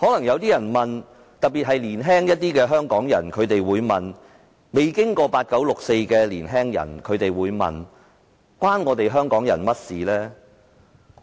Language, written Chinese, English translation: Cantonese, 一些較年輕或未有經歷"八九六四"的年輕人可能會問，此事與香港人何干？, People who are relatively younger or have not experienced the 4 June incident may ask what does this incident have to do with Hong Kong people?